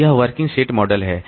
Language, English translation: Hindi, So, this is the working set model